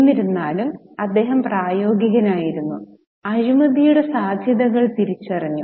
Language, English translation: Malayalam, However, he was practical and recognized the potential of corruption